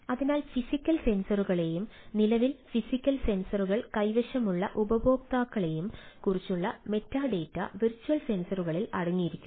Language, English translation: Malayalam, so virtual sensors contain metadata about the physical sensors and users currently holding the ah physical sensors